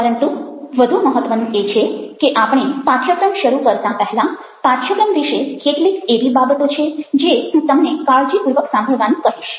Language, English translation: Gujarati, but, more important than that, before we begin the course, there are few things about the course that i will ask you to listen to very carefully